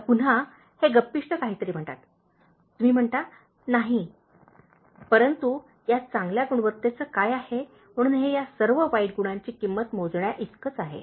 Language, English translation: Marathi, Now again, the gossiper says something, you say, no but what about this good quality, so this equals many of these bad qualities it is out paying all these bad qualities